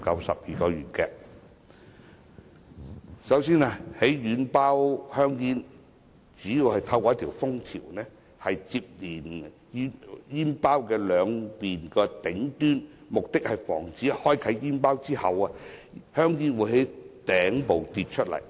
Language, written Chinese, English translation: Cantonese, 首先，軟包香煙主要透過一條封條連接煙包兩面的頂端，從而防止在開啟煙包之後，香煙從頂部跌出。, First a seal connecting the top of the two sides of soft pack cigarettes prevents cigarettes from falling out from the top once the packet is opened